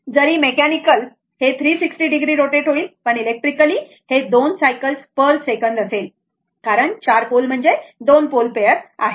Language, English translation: Marathi, Although mechanical, it will rotate 360 degree, but electrically it will make 2 cycles per second right because you have four pole that mean 2 pole pair